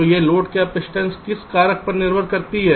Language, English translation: Hindi, so on what factor does this capacitance depend